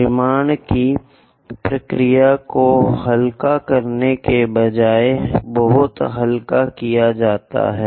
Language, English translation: Hindi, The construction procedure can be much lighter also instead of darkening it